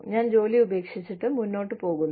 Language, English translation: Malayalam, I leave the job